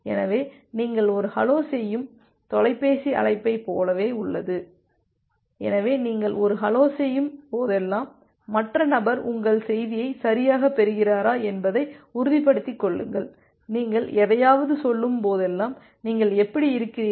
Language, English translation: Tamil, So, it is just like in the telephone call you are making a hello, so whenever you are making a hello you want make sure that the other person is correctly receiving your message and whenever you are saying something that hi how are you